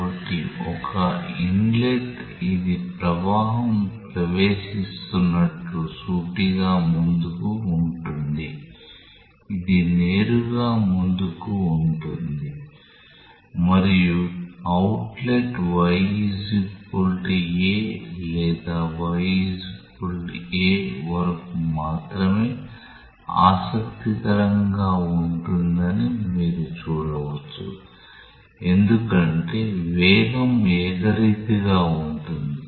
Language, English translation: Telugu, So, one inlet is this one which is straight forward that the flow is entering, outlet this is straight forward and you can see that outlet is interesting only up to y equal to a or y equal to minus a because beyond that the velocity is uniform